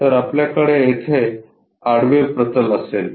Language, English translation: Marathi, So, here we will have horizontal plane